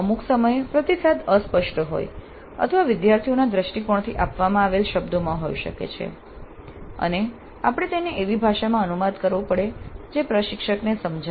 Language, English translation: Gujarati, And certain times the feedback may be in terms which are vague or in terms which are given from the perspective of the students and we may have to translate that language into a language that makes sense to the instructor